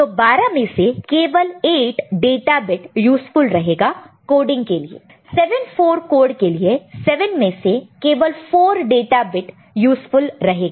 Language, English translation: Hindi, So, at the other end; so 8 out of 12 will be useful in this kind of coding and in the 7, 4 code 4 data bit out of 7 will be useful